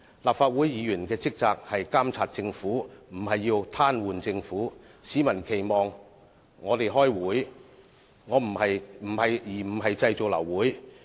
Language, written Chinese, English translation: Cantonese, 立法會議員的職責是監察政府，不是癱瘓政府；市民期望我們開會，而不是製造流會。, It is the duty of Members of the Legislative Council to monitor the Government but not paralyse it; people expect us to attend meetings but not cause the abortion of meetings